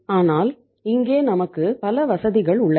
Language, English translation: Tamil, But here we have many comforts